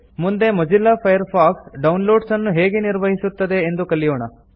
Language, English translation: Kannada, Next, let us now learn how Mozilla Firefox handles downloads